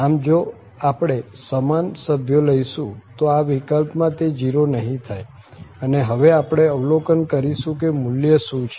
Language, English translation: Gujarati, So, if we have taken the same member, in that case this is not 0 and we will observe now that what is the value coming